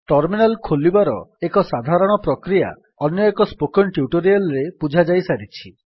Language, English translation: Odia, A general procedure to open a terminal is already explained in another spoken tutorial